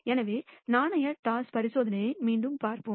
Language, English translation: Tamil, So, let us look at the coin toss experiment again